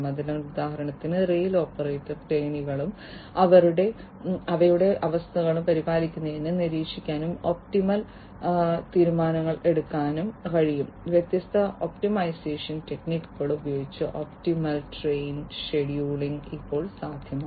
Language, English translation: Malayalam, So, therefore, for example, the rail operator can maintain, and monitor the trains and their conditions, and make optimal decisions, it is also now possible to have optimal train scheduling with the use of different optimization techniques